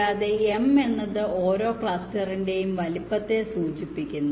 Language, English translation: Malayalam, i take it out then, since the size of each cluster is m